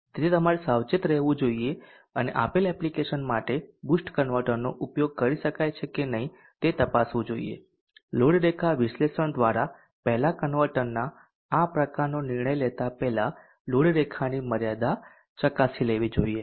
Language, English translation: Gujarati, Therefore you should be careful and check whether the boost converter can be used for a given application or not by the load line analysis first checking the limits of the load line before actually deciding on the type of the converter